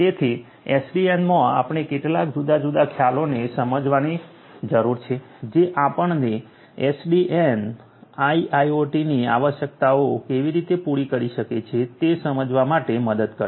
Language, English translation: Gujarati, So, in SDN we need to understand few different concepts which will make us to understand further how SDN can cater to the requirements of IIoT